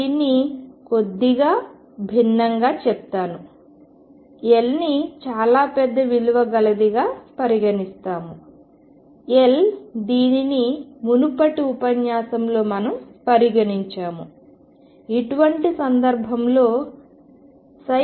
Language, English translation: Telugu, I will put this slightly differently as L becomes large what is L, the L that we considered in the previous lecture psi goes to 0